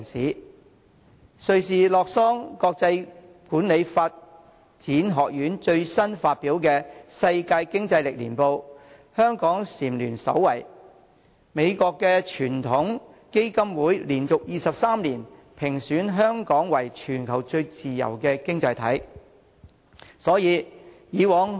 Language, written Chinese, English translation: Cantonese, 根據瑞士洛桑國際管理發展學院最新發表的《世界競爭力年報》，香港蟬聯首位，美國傳統基金會亦連續23年將香港評為全球最自由的經濟體。, Hong Kong has been crowned as the worlds most competitive economy for the second consecutive year according to World Competitiveness Yearbook 2017 complied by the Switzerland - based International Institute for Management Development . The World Heritage Foundation in the United States also ranks Hong Kong as the worlds freest economy for the 23 consecutive year